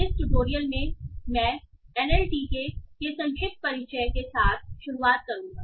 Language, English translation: Hindi, In this tutorial I will start with a brief introduction to NLTK